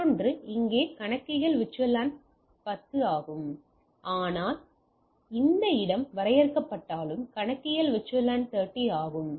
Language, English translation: Tamil, The other one is more of a location based here the accounting is VLAN 10, but whereas this location is defined the accounting is VLAN 30